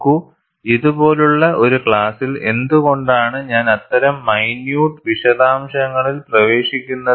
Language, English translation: Malayalam, See, I am sure in a class like this, why I get into such minute details